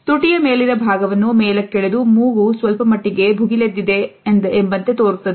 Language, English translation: Kannada, The upper part of the lip will be pulled up, which basically causes your nose to flare out a little bit